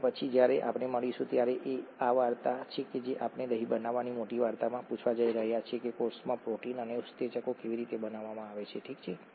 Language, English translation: Gujarati, When we meet up next, this is the story that we are going to ask in the larger story of curd making, how are proteins and enzymes made in the cell, okay